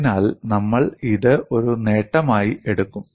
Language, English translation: Malayalam, So, we would take this as an advantage